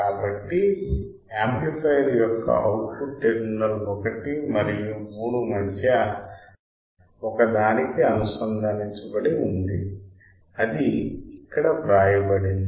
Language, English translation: Telugu, So, the output of the amplifier is connected to one between terminal 1 and 3 that is what it is written here